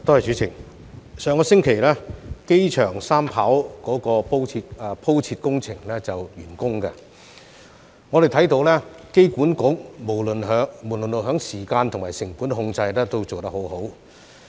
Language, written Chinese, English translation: Cantonese, 主席，上星期，機場三跑的鋪設工程完工，我們看到香港機場管理局無論在時間和成本控制都做得很好。, President the pavement works for the Third Runway at the Airport completed last week and we can see that the Hong Kong Airport Authority HKAA has done a great job in terms of time control and cost control